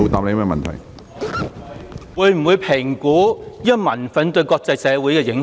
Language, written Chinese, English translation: Cantonese, 他會否評估民憤對國際社會的影響？, Will he assess the impact of peoples anger on the international community?